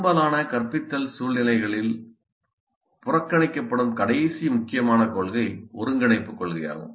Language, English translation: Tamil, Then the last important principle which probably is ignored in most of the instructional situations is integration from principle